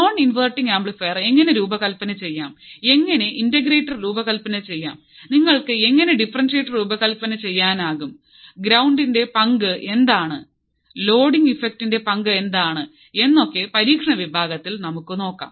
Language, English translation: Malayalam, So, this we all will see in the experiment part also how we can design the inverting amplifier how we can design an non inverting amplifier how we can design integrator how you can design differentiator what is the role of ground what is the role of loading effect we will see everything in the experimental section as well